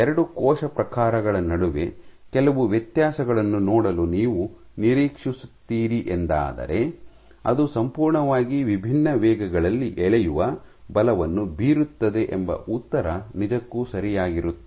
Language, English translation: Kannada, What would do you expect to see some differences between 2 cell types, which exert pulling forces at completely different rates